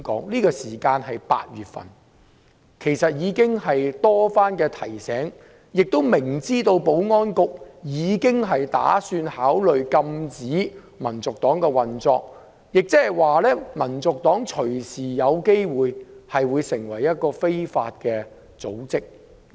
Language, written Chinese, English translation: Cantonese, 其實馬凱先生已經被多番提醒，亦明知道保安局已宣布會考慮禁止香港民族黨運作，即是說，香港民族黨隨時有機會成為一個非法組織。, Mr MALLET had indeed been reminded repeatedly and he should be aware that the Security Bureau had announced its intention to ban the operation of HKNP meaning that HKNP might become an illegal society anytime